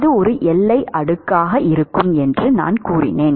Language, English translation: Tamil, So, I said that is going to be a boundary layer